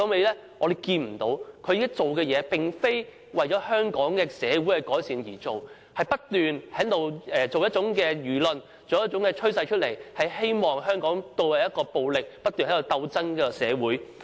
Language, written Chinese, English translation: Cantonese, 他現在所做的事，並非為了改善香港社會，而是不斷地製造輿論和趨勢，希望將香港導向暴力、不斷鬥爭的社會。, What he is doing now is not intended to bring improvements to Hong Kong society rather he is continually whipping up public opinions and trends in the hope of guiding Hong Kong society down the path of violence and constant struggles